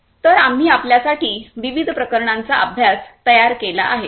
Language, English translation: Marathi, So, there are different case studies that we have prepared for you